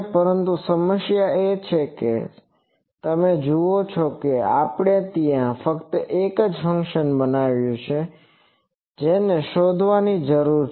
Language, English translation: Gujarati, But the problem is you see that we have created that there was only one function which needs to be found out